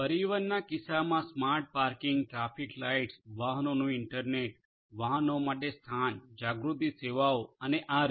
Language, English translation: Gujarati, In the case of transportation smart parking, traffic lights, internet of vehicles, location aware services to the vehicles and so on